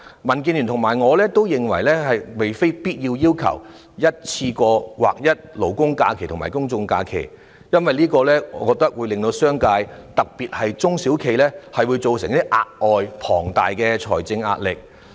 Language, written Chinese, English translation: Cantonese, 民建聯和我都不是要求一次過劃一勞工假期和公眾假期，因為這會對商界，特別是中小企，構成額外且龐大的財政壓力。, Neither the Democratic Alliance for the Betterment and Progress of Hong Kong DAB nor I demand to align labour holidays with general holidays in one go as this will exert immense additional financial pressure on the business sector especially SMEs